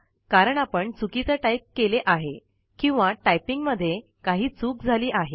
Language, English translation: Marathi, Thats because we have mistyped or made an error in typing